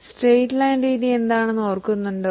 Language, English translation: Malayalam, Do you remember what is straight line method